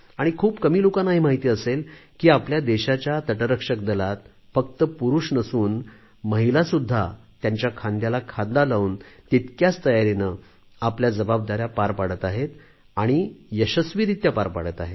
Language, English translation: Marathi, Not many people would be aware that in our Coast Guard, not just men, but women too are discharging their duties and responsibilities shoulder to shoulder, and most successfully